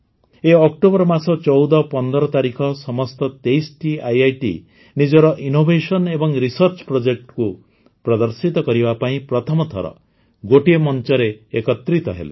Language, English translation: Odia, This month on 1415 October, all 23 IITs came on one platform for the first time to showcase their innovations and research projects